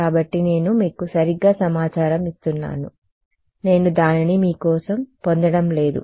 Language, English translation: Telugu, So, I am just giving you information right I am not deriving it for you ok